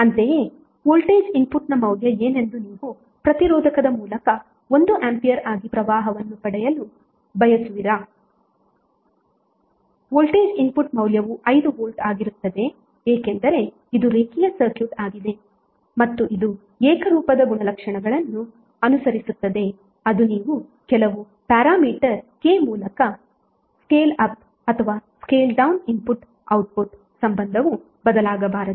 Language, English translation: Kannada, Similarly is you want to get current as 1 ampere through the resistor what would be the value of the voltage input, the voltage input value would be 5 volts because this is a linear circuit and it will follow the homogeneity property which says that if you scale up or scale down through some parameter K the input output relationship should not change